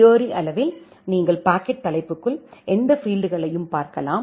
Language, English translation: Tamil, Theoretically you can look into any field inside the packet header